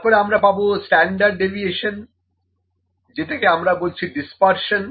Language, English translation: Bengali, Central tendency then we have standard deviation that is dispersion, how